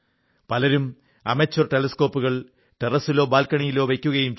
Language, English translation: Malayalam, Many people install amateur telescopes on their balconies or terrace